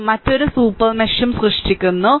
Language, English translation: Malayalam, So, this is also creating another super mesh